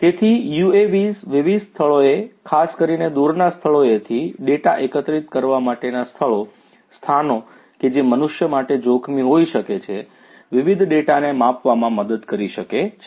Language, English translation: Gujarati, So, UAVs can help in measuring different data, from different locations particularly collecting data from remote locations you know hard to reach locations, locations which could be hazardous for human beings and so on